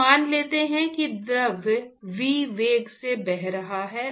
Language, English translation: Hindi, So, let us assume that a fluid is flowing at a velocity v